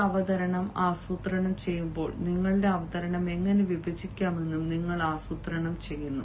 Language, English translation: Malayalam, i mean, when you plan a presentation, you also plan how to divide your presentation